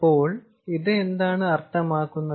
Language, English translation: Malayalam, so what does this mean